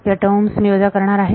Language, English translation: Marathi, So, these terms I am going to subtract